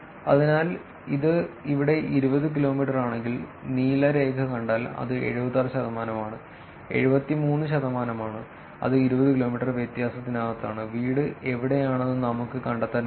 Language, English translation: Malayalam, So, if we see here this is 20 kilometers and if we see the blue line it is here that is about 76 percent, 73 percent, which is within the 20 kilometer difference, we were able to find out where the home is which is pretty good